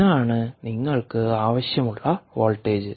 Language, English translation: Malayalam, ok, this is ah, the voltage that you want